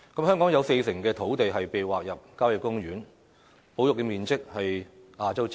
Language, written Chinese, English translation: Cantonese, 香港有四成土地被劃入郊野公園，保育面積比例是亞洲之冠。, Some 40 % of land in Hong Kong has been designated as country parks making Hong Kong the champion in Asia in terms of land conservation ratio